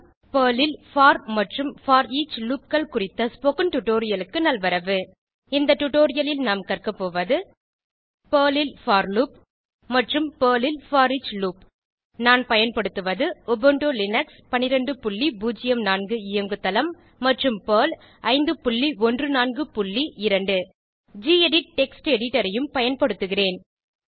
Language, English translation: Tamil, Welcome to the spoken tutorial on for and foreach Loops in Perl In this tutorial, we will learn about: for loop in Perl and foreach loop in Perl I am using Ubuntu Linux12.04 operating system and Perl 5.14.2 I will also be using the gedit Text Editor